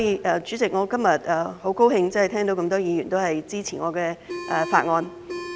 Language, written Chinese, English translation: Cantonese, 代理主席，我今天很高興聽到這麼多議員支持我的法案。, Deputy Chairman today I am glad to hear so many Members say that they are in support of the Bill